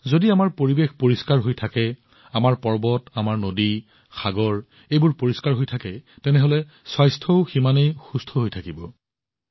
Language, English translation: Assamese, If our environment is clean, our mountains and rivers, our seas remain clean; our health also gets better